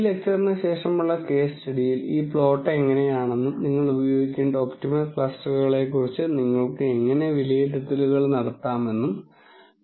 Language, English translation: Malayalam, The case study that follows this lecture, you will see how this plot looks and how you can make judgments about the optimal number of clusters that you should use